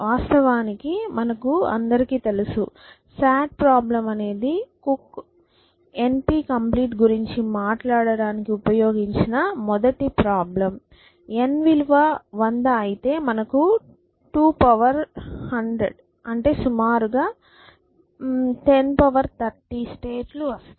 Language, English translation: Telugu, In fact, you know that sat problem was a first problem which was a first problem which was used by cook to talk about n p complete next essentially where n is equal to 100 we have 2 raise to 100 which is about 10 raised to 30 states